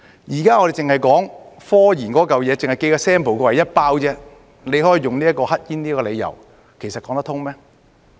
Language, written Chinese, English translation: Cantonese, 現在我們只是說及科研，只是寄 sample 過來，一包而已，政府卻可以用"黑煙"為理由，其實說得通嗎？, Now we are merely referring to scientific research . Only a pack of samples will be sent here . Yet the Government can use illicit cigarettes as its reason